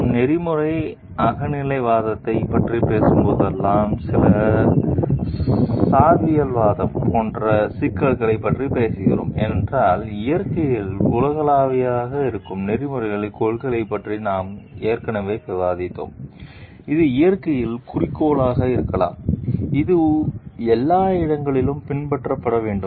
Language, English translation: Tamil, Whenever we are talking of ethical subjectivism, we are talking of issues like some relativism because, we have already discussed about ethical principles which may be universal in nature, which may be objective in nature, which needs to be followed everywhere